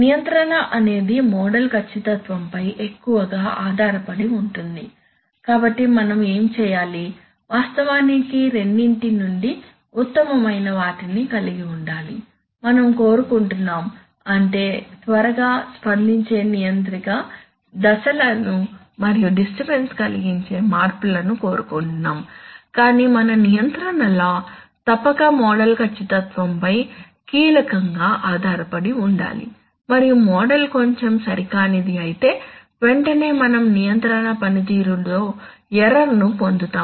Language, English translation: Telugu, That is the control is heavily dependent on model accuracy, so what do we do, so we have, we want to actually have the best of both worlds that is we want a quick responding controller to step and disturbance changes but we do not want that that our control law should be crucially dependent on the model accuracy and if the model is little bit inaccurate immediately we will get error in the control performance, so what we have to do is that, you have to mix and match, we have to mix feed forward with feedback to be able to get the best of both worlds so let us see how to do that